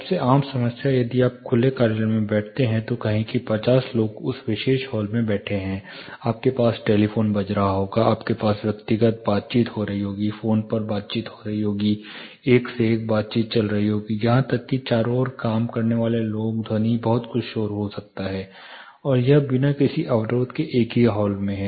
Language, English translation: Hindi, Most common problem, if you sit in the open office say 50 people are sitting in that particular hall, you will have telephones ringing, you will have personal conversations, phone conversation, one to one interactions, people working around even the foot fall sound, lot of noise will be created and it is a single hall without much of the barrication